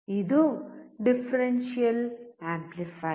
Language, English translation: Kannada, This is a differential amplifier